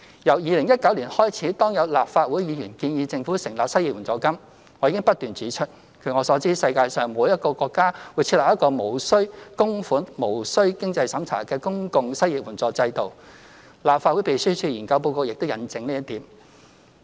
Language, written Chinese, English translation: Cantonese, 由2019年開始，當有立法會議員建議政府成立失業援助金，我已不斷指出，據我所知，世界上並沒有一個國家會設立一個無須供款及無須經濟審查的公共失業援助制度，立法會秘書處研究報告亦印證這一點。, Since 2019 when Members of the Legislative Council proposed the setting up of an unemployment assistance by the Government I have continuously pointed out that no country in the world would set up a non - contributory and non - means - tested public unemployment assistance which is evidenced in the Information Note of the Legislative Council Secretariat